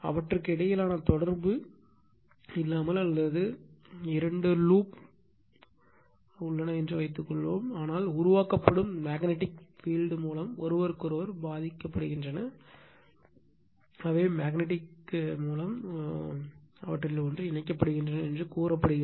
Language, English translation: Tamil, Suppose, you have two loops with or without contact between them, but affect each other through the magnetic field generated by one of them, they are said to be magnetically coupled